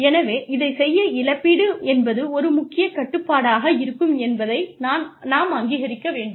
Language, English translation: Tamil, So, in order to do this, we need to recognize that, compensation is going to be a pivotal control